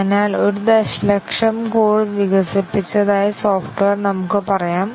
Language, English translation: Malayalam, So the software let us say a million line of code has been developed